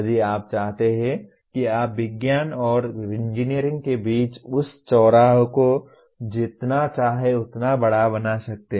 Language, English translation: Hindi, If you want you can make that intersection between science and engineering as large as you want